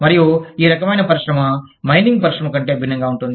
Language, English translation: Telugu, And, the kind of industry, mining industry would be different